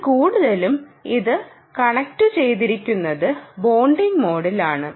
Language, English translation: Malayalam, so this is mostly in the connected and bonding mode